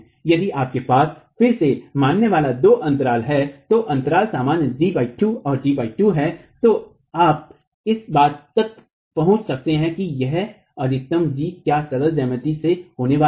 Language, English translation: Hindi, If you have two gaps each assuming again that the gaps are equal G by 2 and G by 2 you can arrive at what this maximum G is going to be by simple geometry